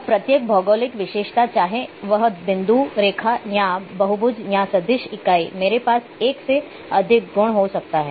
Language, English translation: Hindi, Now each geographic feature whether it’s a point line or polygon or vector entity I can have more than one or more than one attribute